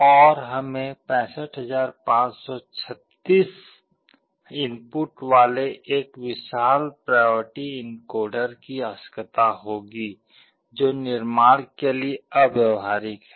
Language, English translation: Hindi, And we need one huge priority encoder that will be having 65536 inputs, which is impractical to build